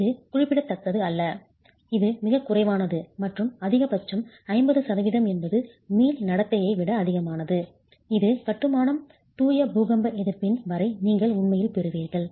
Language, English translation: Tamil, It's not significant, it's very low and at the most 50% is what is more than the elastic behavior is what you actually get as far as pure earthquake resistance of masonry